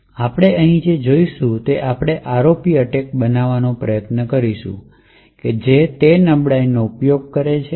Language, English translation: Gujarati, But what we will see over here is, we will try to build an ROP attack which uses that vulnerability